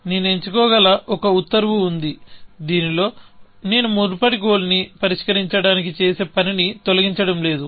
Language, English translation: Telugu, So, there is an order I can choose in which, I am not undoing the work done for the solving the previous goal